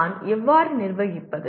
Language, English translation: Tamil, How do I manage